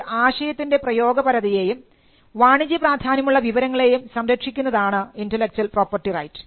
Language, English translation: Malayalam, Intellectual property rights generally protect applications of idea and information that are of commercial value